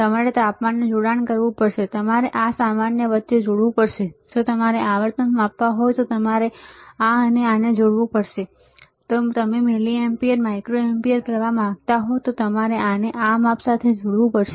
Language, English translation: Gujarati, You have to connect temperature, you have to connect between this and common, if you want measure frequency, you have to connect this and this if you want to measure milliampere microampere current you have to measure this with this